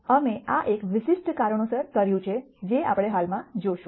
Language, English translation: Gujarati, we have done this for a specific reason which we will see presently